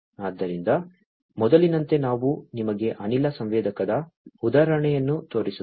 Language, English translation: Kannada, So, like before let me show you the example of a gas sensor